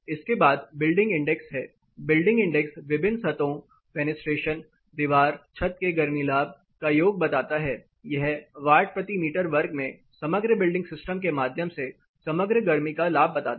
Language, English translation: Hindi, Next is the building index building indexes cumulates the heat gain from various surfaces, fenestrations, wall roof put together they calculate what is the overall watts per meter square that is the heat gain through the overall building system into a particular space